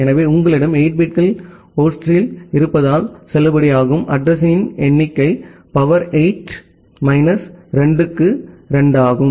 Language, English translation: Tamil, So, because you have 8 bits in host, so the number of valid address is 2 to the power 8 minus 2